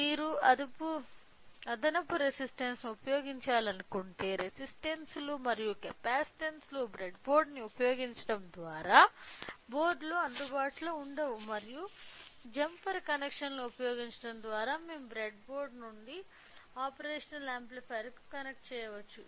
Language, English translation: Telugu, However, in case if you want to use extra resistances are the resistance which resistances and capacitances which are not available on the board by using the breadboard and by using the jumper connections we can simply connected from the breadboard to the operational amplifier say